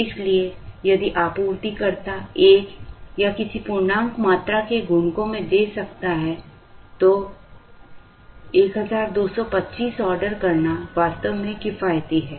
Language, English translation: Hindi, So, if the supplier can give in multiples of 1 or any integer quantity then ordering 1225 is indeed economical